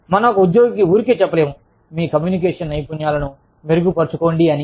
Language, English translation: Telugu, We cannot just tell an employee, okay, improve your communication skills